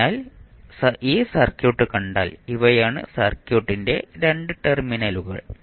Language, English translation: Malayalam, so, if you see this circuit you will see if these are the 2 terminals of the circuit